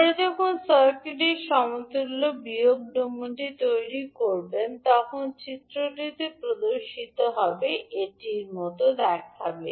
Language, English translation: Bengali, So when you create the s minus domain equivalent of the circuit, it will look like as shown in the figure